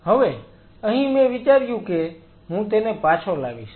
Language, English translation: Gujarati, Here I thought that I bring it back